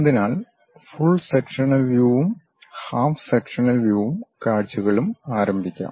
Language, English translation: Malayalam, So, let us first begin the first part on full section and half sectional views